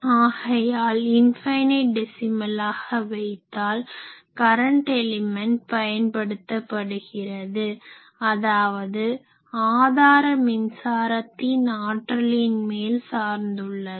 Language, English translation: Tamil, So, that we can consider as infinite decimal so, current elements are used, then it depends; obviously, on the source strength how much current I am giving